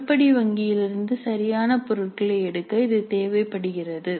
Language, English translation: Tamil, This is required in order to pick up correct items from the item bank